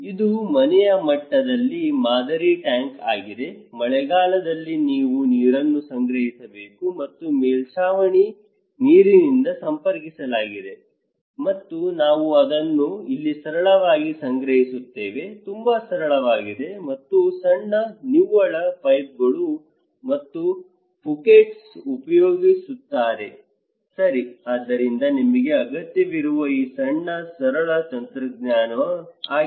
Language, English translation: Kannada, This is a model tank at the household level, during the rainy season you have to collect water and from the roof water, this will come channelize okay, and we will store it here, simple; very simple and there is a small net, pipes and Phukets okay, so this small simple technology you need